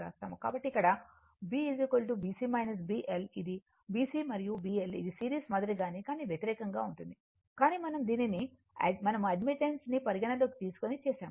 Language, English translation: Telugu, So, where B is equal to B C minus B L right, this is my B C and this is my B L just opposite like your series one, but we have made it like this considering admittance